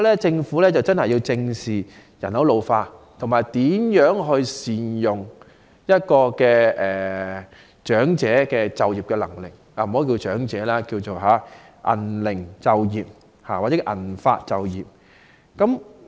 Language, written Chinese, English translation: Cantonese, 政府要正視人口老化，以及善用長者的就業能力——不要稱之為"長者就業"，而是"銀齡就業"或"銀髮就業"。, The Government should squarely face the problem of an ageing population and make good use of the manpower of our senior citizens . The Government should not call this measure employment of the elderly but employment of the silver - aged or employment of the silver - haired generation instead